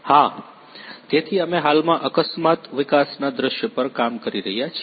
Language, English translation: Gujarati, Yes, so we are currently working on an accident development scenario